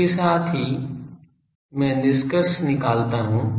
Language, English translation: Hindi, With this, I conclude